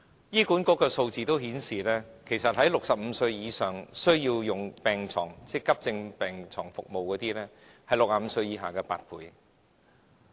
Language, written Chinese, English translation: Cantonese, 醫管局的數字顯示 ，65 歲以上需要用急症病床服務的人士，是65歲以下人士的8倍。, According to HAs statistics the demand for acute beds services of people aged 65 or above is eight times that of those under 65